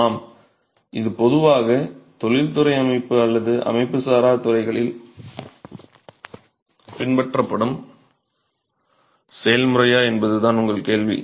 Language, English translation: Tamil, Yes, your question is whether this is the process that is typically adopted within an industrial setup or in the unorganized sector